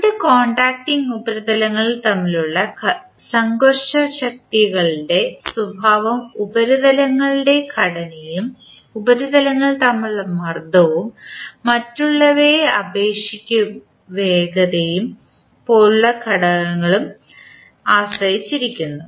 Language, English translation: Malayalam, The characteristic of frictional forces between two contacting surfaces depend on the factors such as the composition of the surfaces and the pressure between the surfaces and their their relative velocity among the others